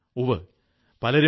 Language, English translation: Malayalam, Years ago, Dr